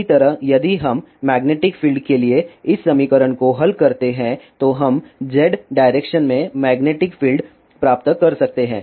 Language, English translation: Hindi, Similarly if we solve this equation for magnetic field then we can get magnetic field in Z direction